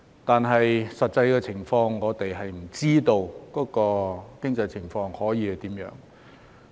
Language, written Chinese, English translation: Cantonese, 不過，實際的情況是，我們並不知道經濟情況會如何。, However the reality is that we do not know what the economic conditions will be like